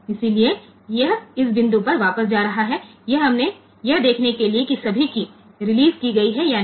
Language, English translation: Hindi, So, it is jumping back to this point to see whether all keys are released or not